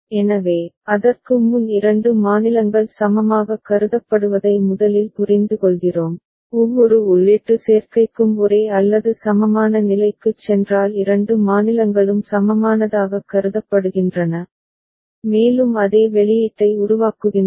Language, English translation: Tamil, So, before that we first understand that two states are considered equivalent; two states are considered equivalent if they move to same or equivalent state for every input combination and also generate same output ok